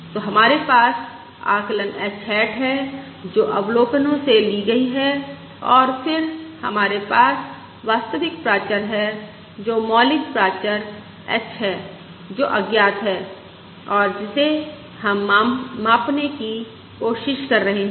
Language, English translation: Hindi, So we have the estimate h hat, which is derived from the observations, and then we have the true parameter, that is, the original parameter h, which is unknown and which we are trying to measure